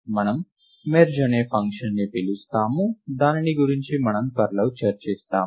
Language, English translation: Telugu, We call a function called merge which we will shortly discuss